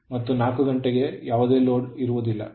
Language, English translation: Kannada, 9 and 4 hour, at no load